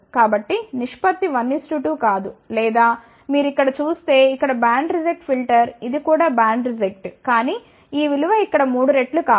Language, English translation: Telugu, So, the ratio is not 1 is 2 2 or if you look at this one here is a band reject filter this is also band reject , but this value is not 3 times like this here ok